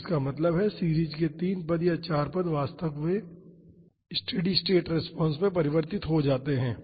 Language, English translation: Hindi, So that means, the three terms or four terms of the series converges to the actual steady state response